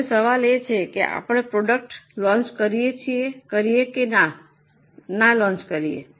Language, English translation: Gujarati, Now the question is, shall we launch the product or not launch